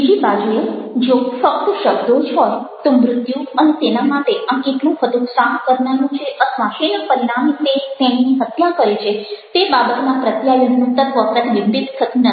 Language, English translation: Gujarati, on the other hand, if we have only words, ok, the element of the communication on death and how frustrating it has been for him out, which has resulted in is killing at these, will not be reflected